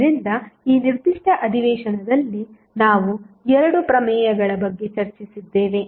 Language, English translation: Kannada, So, in this particular session, we discussed about 2 theorems